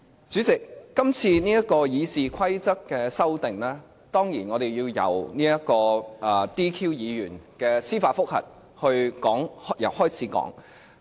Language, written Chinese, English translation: Cantonese, 主席，今次《議事規則》的修訂，當然，我們要由 "DQ" 議員的司法覆核說起。, President before we discuss the proposal to amend RoP we should definitely first talk about a judicial review case to disqualify or DQ some Members